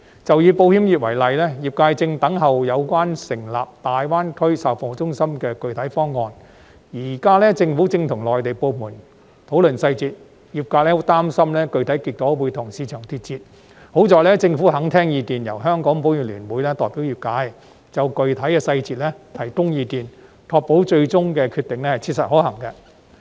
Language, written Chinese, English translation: Cantonese, 就以保險業為例，業界正等候有關成立大灣區售後服務中心的具體方案，而政府現在正跟內地部門討論細節，業界十分擔心具體結果會跟市場脫節；還好政府肯聽意見，由香港保險業聯會代表業界，就具體細節提供意見，確保最終的決定切實可行。, Taking the insurance industry as an example . The industry is awaiting the specific plan for the establishment of after - sales service centres in GBA while the Government is now negotiating with the Mainland authorities on the details . The industry is so worried about that the specific outcome will go out of tune with the market; yet luckily the Government is willing to listen to opinions and let the Hong Kong Federation of Insurers represent the industry to present their views on specific details for ensuring the practicability of the final decision